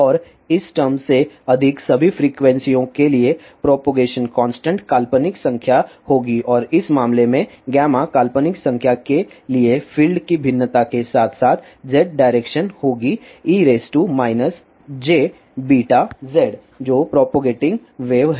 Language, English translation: Hindi, And for all the frequencies greater than this term, the propagation constant will beimaginary number and in this case, for gamma imaginary number the variation of the fields, along z direction will be e raised to minus j beat z which ispropagating wave